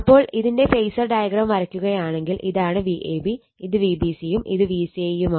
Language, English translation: Malayalam, So, similarly if you draw the phasor diagram, this is your V ab, this is V bc, this is vca